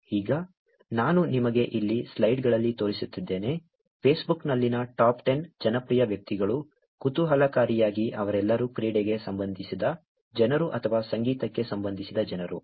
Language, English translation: Kannada, Now, I am actually showing you here in slides, the top 10 popular people on Facebook, interestingly all of them are either sports related people or music related people